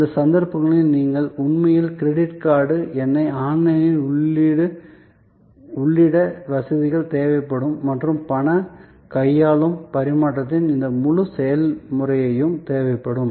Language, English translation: Tamil, In those cases, you can actually, there will facilities will be needed for entering credit card number online and this whole process of cash handling, change